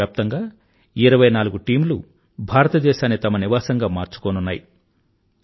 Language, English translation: Telugu, Twentyfour teams from all over the world will be making India their home